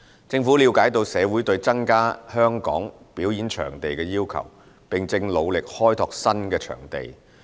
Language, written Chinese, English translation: Cantonese, 政府了解到社會對增加香港表演場地的需求，並正努力開拓新的場地。, The Government understands the communitys need for the provision of additional performance venues in Hong Kong and is striving to explore new venues